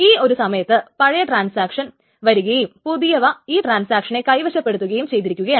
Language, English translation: Malayalam, So at that point, since the old transaction has come, the young is holding to it